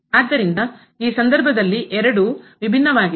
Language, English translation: Kannada, So, both are different in this case